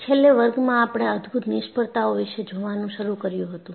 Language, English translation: Gujarati, In the last class, we had started looking at spectacular failures